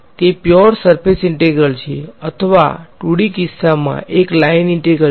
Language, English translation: Gujarati, It is purely a surface integral or in the 2D case a line integral